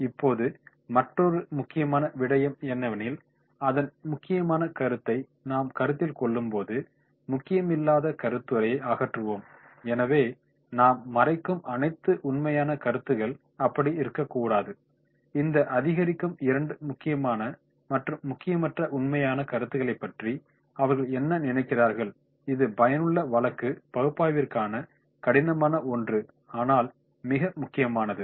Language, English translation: Tamil, Now, another important point, as we consider the important facts, similarly eliminate unimportant facts that is also very important, so it should not be that is all facts we are covering, they think of this escalating 2 piles important versus unimportant facts, this is one of the hardest element to effective case analysis but perhaps the most important